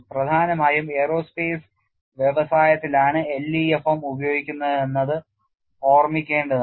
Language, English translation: Malayalam, It is to be remembered that LEFM is principally applied in aerospace industry